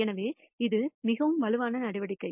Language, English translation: Tamil, So, this is a much more robust measure